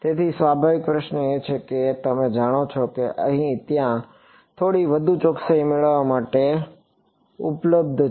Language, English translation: Gujarati, So, the natural question is that you know is there available to get little bit more accuracy ok